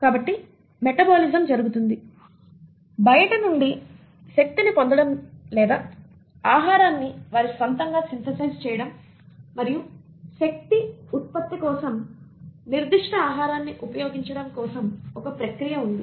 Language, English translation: Telugu, So the metabolism happens, there is a process in place to acquire energy either from outside or synthesise the food on their own and then utilise that particular food for generation of energy